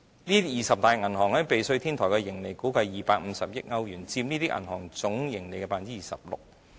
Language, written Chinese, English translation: Cantonese, 這二十大銀行在避稅天堂的盈利估計達250億歐元，佔這些銀行總盈利 26%。, The two places have become the first choice for tax avoidance . The estimated amount of profits registered by these 20 banks in tax havens was as high as €25 billion accounting for 26 % of these banks total profits